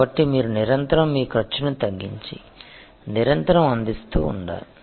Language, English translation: Telugu, So, you need to be adapt at continuously lowering your cost and continuously offering